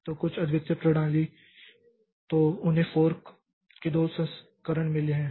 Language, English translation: Hindi, So, some unique system so they have got two versions of fork